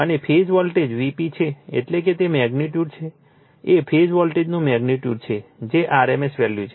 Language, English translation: Gujarati, And your phase voltage phase voltage is V p that is your that is your magnitude, magnitude is the phase voltage that is rms value